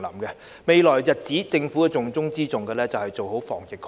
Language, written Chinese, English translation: Cantonese, 在未來的日子裏，政府重中之重的工作是防疫抗疫。, In the coming days preventing and fighting the epidemic will be the most important area of work to be carried out by the Government